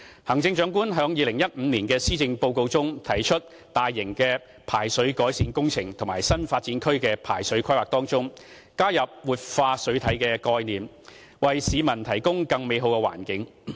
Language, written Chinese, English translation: Cantonese, 行政長官於2015年的施政報告中，提出在大型排水改善工程及新發展區的排水規劃中，加入活化水體的概念，為市民提供更美好的環境。, In his 2015 Policy Address the Chief Executive proposed adopting the concept of revitalizing water bodies in large - scale drainage improvement works and planning drainage networks for New Development Areas so as to build a better environment for the public